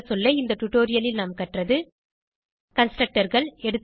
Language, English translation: Tamil, Let us summarize, In this tutorial we learned, Constructors